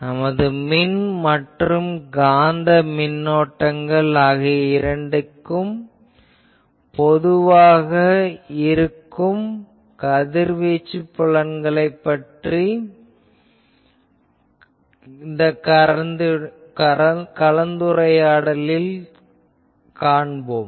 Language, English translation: Tamil, We are continuing our discussion on the solution of by Radiated fields when both types of current, Electric currents and Magnetic currents are there